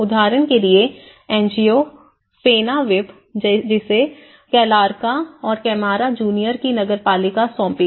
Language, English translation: Hindi, For example, an NGO ‘Fenavip’ which has been assigned the municipality of Calarca and Camara Junior